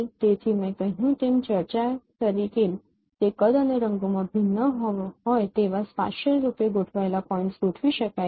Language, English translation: Gujarati, So as I mentioned as I discuss this it could be specially arranged dots with varying in size and colors